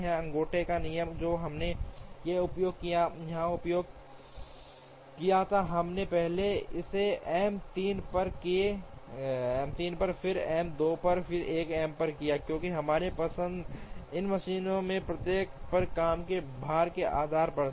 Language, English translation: Hindi, The thumb rule that we used here we first did it on M 3, then on M 2, and then on M 1, because our choice was based on the work load on each of these machines